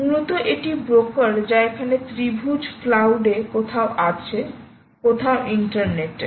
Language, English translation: Bengali, essentially, this broker, which is a triangle here, is somewhere in the cloud, somewhere on the internet, somewhere on the internet